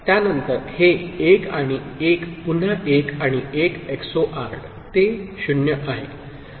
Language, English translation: Marathi, After that, this 1 and 1 again this 1 and 1 XORed, it is 0